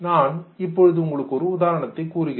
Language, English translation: Tamil, Now, let me give you an example